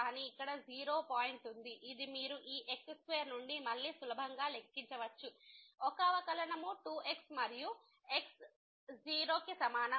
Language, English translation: Telugu, But there is a point here 0 which you can easily compute again from this square is a derivative is 2 and is equal to 0 the derivative will become 0